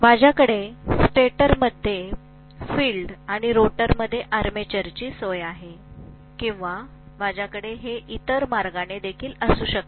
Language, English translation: Marathi, I can have the stator housing the field and rotor housing the armature or I can have it the other way round also